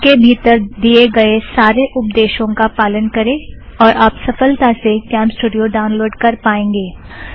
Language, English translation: Hindi, Follow the instructions and you will have downloaded CamStudio on your PC